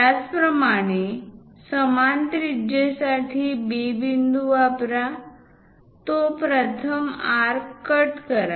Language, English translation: Marathi, Similarly, use B point for the same radius; cut that first arc